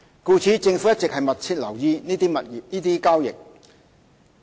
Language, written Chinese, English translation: Cantonese, 故此，政府一直密切留意這些交易。, Hence the Government has been paying close attention to these transactions